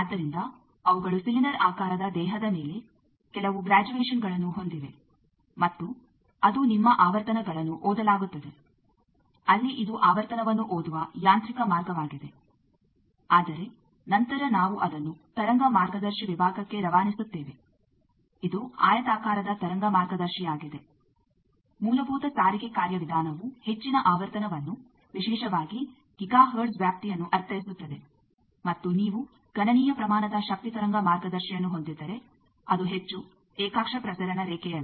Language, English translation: Kannada, So, they are there are some graduations on the cylindrical body, and that is the your frequencies are read there this is a mechanical way of reading the frequency, but then we pass that to a wave guide section, a rectangular wave guide which is a basic transport mechanism mean high frequency, particularly in the Giga hertz range and if you have sizable power wave guide is the more not a coaxial transmission line